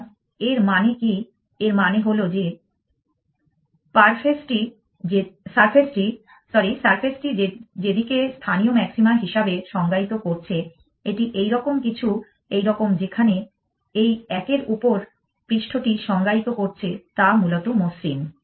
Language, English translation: Bengali, So, what does that mean, it means that the surface that h one is defining as local maxima it is like this something like this where is the surface at this one is defining is smooth essentially